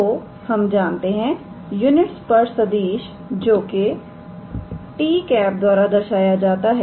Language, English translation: Hindi, So, we know unit tangent vector which is given by t cap